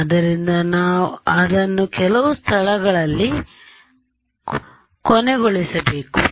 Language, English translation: Kannada, So, I mean I have to stop it at some place